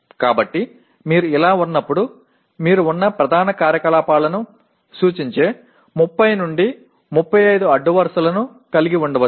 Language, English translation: Telugu, So when you have like this, you may have something like 30 to 35 rows representing all the core activities